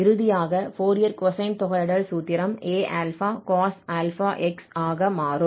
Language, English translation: Tamil, So, for the Fourier cosine integral, the formula finally becomes A cos